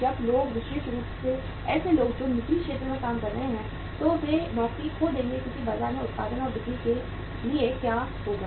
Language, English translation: Hindi, When people especially people who are working in the private sector, they will lose jobs because for the want of production and sales in the market